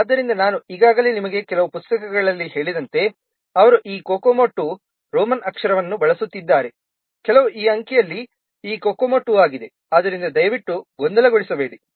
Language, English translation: Kannada, So as I have already told you, some books they are using this Kokomo 2, Roman letter, somewhere just this Kokomo 2 in this digit so please don't confuse